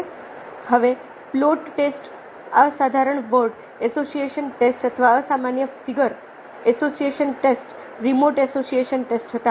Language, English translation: Gujarati, now, plot test were ah, uncommon word association test or uncommon figure association test, remote association test